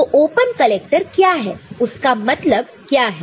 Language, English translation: Hindi, So, open collector we understand